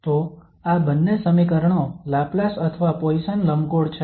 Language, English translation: Gujarati, So these both equations the Laplace or Poisson are elliptic